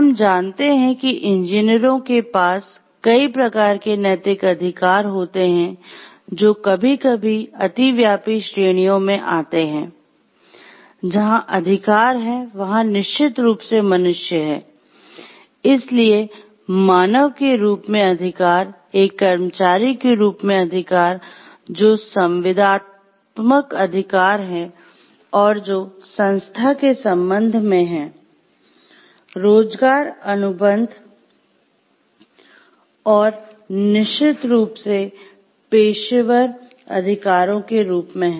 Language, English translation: Hindi, The rights of engineers are, so we can understand like engineers have several types of moral rights which fall into, sometimes overlapping categories of like where the rights of, they are human beings of course; So, rights as human beings, rights as employee which are the contractual rights, which they have a with respect to the organization; the employment contract and of course as the professional rights